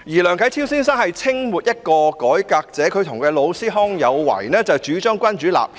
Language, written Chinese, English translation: Cantonese, 梁啟超先生是清末一名改革者，他與老師康有為主張君主立憲。, Mr LIANG Qichao was a reformist in the late Qing Dynasty . He and his mentor KANG Youwei advocated constitutional monarchy